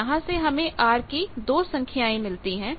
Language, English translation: Hindi, So, you can get 2 values of r from that